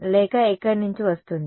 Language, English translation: Telugu, Or it will come from where